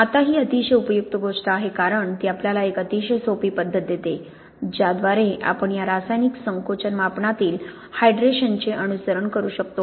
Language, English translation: Marathi, Now this is very useful thing because it gives us a very, very simple method by which we can follow the hydration in this chemical shrinkage measurement